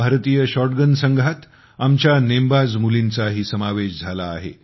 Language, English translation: Marathi, Our shooter daughters are also part of the Indian shotgun team